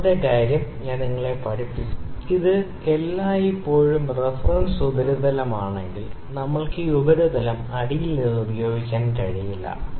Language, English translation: Malayalam, Second thing I have taught you I have always said that, if this is the reference surface, we need we cannot use this surface from the bottom